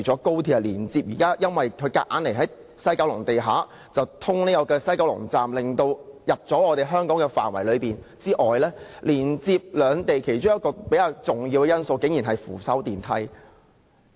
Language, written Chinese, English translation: Cantonese, 高鐵強行在西九龍站地下通車，進入了香港範圍，連接兩地其中一個較重要元素竟然是扶手電梯。, With the forcible commissioning of XRL on the underground level of the West Kowloon Station WKS XRL will enter the Hong Kongs jurisdiction . Surprisingly one of the most important elements linking the two jurisdictions is escalators